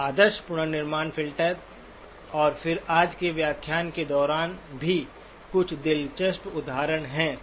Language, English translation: Hindi, approximations of ideal reconstruction filter and then also in the course of today's lecture a few interesting examples as well